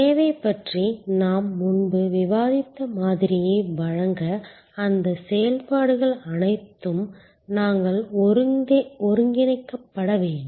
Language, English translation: Tamil, All those functions have to be well coordinated to deliver the model that we had earlier discussed servuction